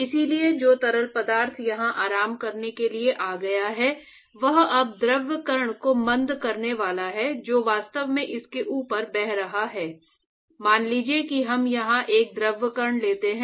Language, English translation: Hindi, So, so the fluid which has come to rest here it is now going to retard the fluid particle which has actually go a flowing above it supposing we take a fluid particle here